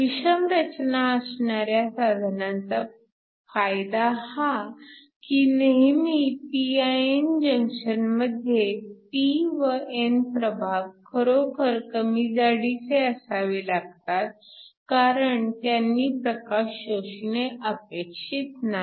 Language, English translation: Marathi, The advantage of the hetero junction device is that, in the case of a regular pin the p and the n region should be really short in order to not to absorb the light